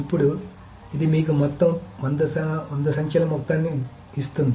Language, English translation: Telugu, Now of course this gives you the sum of all the hundred numbers